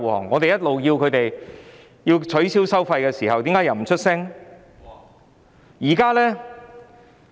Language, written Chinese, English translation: Cantonese, 我們一直要求取消收費，但為何他們不發聲呢？, All along we have requested the abolition of the relevant tolls . But why do they refuse to speak up for it?